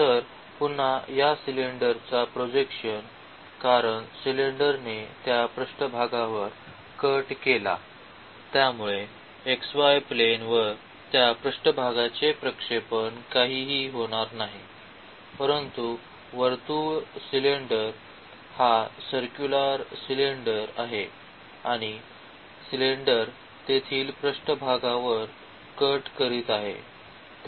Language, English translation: Marathi, So, again the projection of this cylinder because the cylinder cut that surface; so the projection of that surface over the xy plane will be nothing, but the circle because the cylinder is this circular cylinder and the cylinder is cutting the surface there